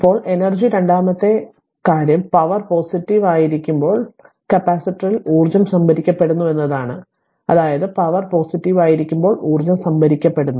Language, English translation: Malayalam, Now energy second thing is that energy is being stored in the capacitor whenever the power is positive; that means, when power is positive that energy is being stored